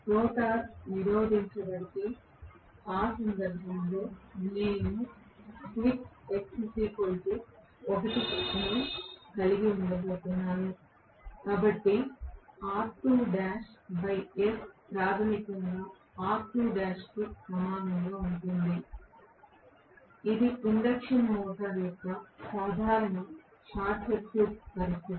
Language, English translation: Telugu, If the rotor is blocked right then in that case I am going to have s equal to 1 so r2 dash by s becomes basically equal to r2 dash itself which is very clearly the normal short circuit condition of the induction motor